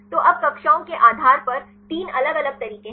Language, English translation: Hindi, So, now, there are 3 different ways based on the classes